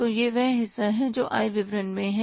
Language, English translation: Hindi, So that is that part is in the income statement